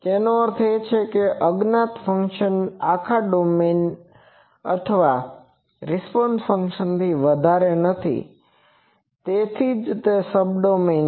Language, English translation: Gujarati, That means, it is not over the whole domain of the unknown function or the response function that is why it is Subdomain